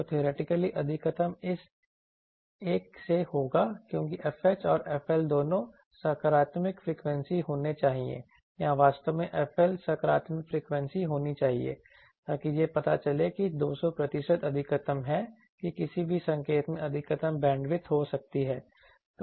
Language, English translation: Hindi, So, theoretically the maximum will come to be from this one, because f H and f L both should be positive frequencies or actually f L should be positive frequency, so that shows that 200 percent is the maximum that an any signal can have maximum bandwidth